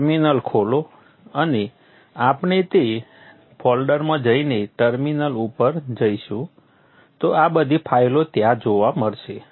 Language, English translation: Gujarati, Open a terminal and we will go into that folder through the terminal